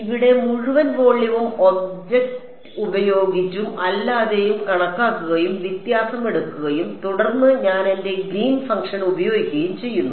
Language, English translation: Malayalam, Here the entire volume is considered with and without object and the difference is taken and then I use my Green’s function